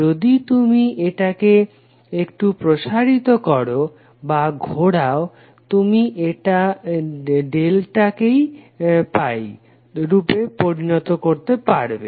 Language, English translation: Bengali, If you expand or if you twist a little bit, you can convert a delta into a pi format